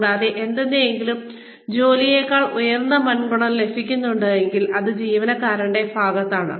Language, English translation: Malayalam, And, if it is, if anything is gaining a higher priority over the work, that is on the employee